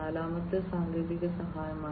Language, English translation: Malayalam, And the fourth one is the technical assistance